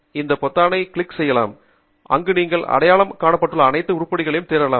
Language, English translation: Tamil, so you can click on this button here where you can select all items that you have identified